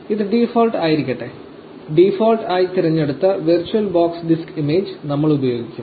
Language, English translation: Malayalam, Let it be the default, we will use virtual box disk image the one that is checked by default